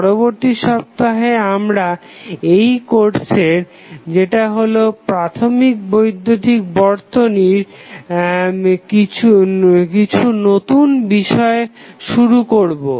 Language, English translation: Bengali, So, in the next week, we will start with some new topic on the course that is our basic electrical circuit